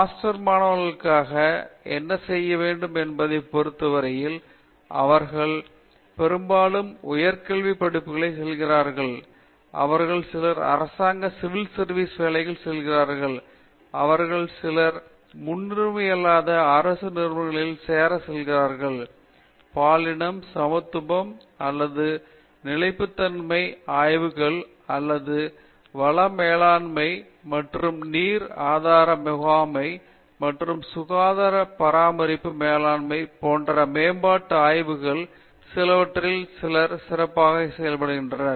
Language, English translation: Tamil, In terms of what they choose to do for master students, we see mostly going to higher studies some of them go to government civil services jobs, some of them preferably join non government organizations to learn more about this specific areas, take for example, somebody is specialized in some issues in developmental studies like gender, equality or sustainability studies or like a resource management and water resource management or health care management and all that